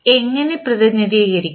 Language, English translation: Malayalam, How we will represent